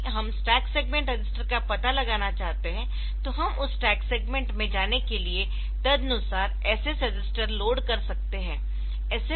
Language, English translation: Hindi, So, as an whenever we want to locate that stack segment, so you can locate you can load the SS register accordingly to go to that stack segment